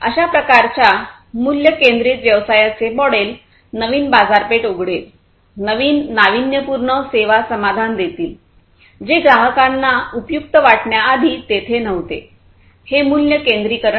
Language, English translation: Marathi, This kind of value centric business model will open up new markets, new services will give solutions, which are innovative, which are new, which we are not there before customers find it useful exciting, and so on; so that is the value centricity